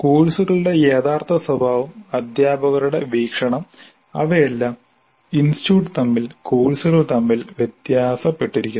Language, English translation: Malayalam, The actual nature of the courses, views by teachers, they all vary across the institute courses